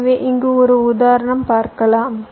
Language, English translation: Tamil, so i can given example here